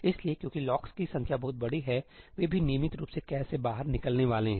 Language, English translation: Hindi, So, because the number of locks is huge they are also going to get swapped out of the cache regularly